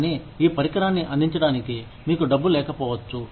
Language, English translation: Telugu, But, you may not have the money, to provide this equipment